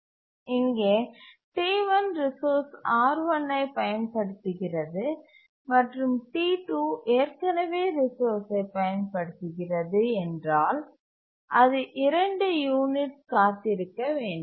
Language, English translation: Tamil, T1 uses the resource R1 and if T2 is already using the resource it would have to wait for two units